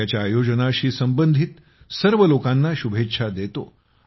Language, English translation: Marathi, I congratulate all the people associated with its organization